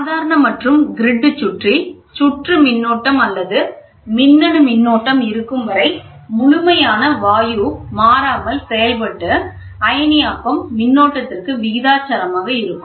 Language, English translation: Tamil, As long as the potential and the grid circuit current or the electronic current remains unchanged the absolute gas process will be proportional to the ionization current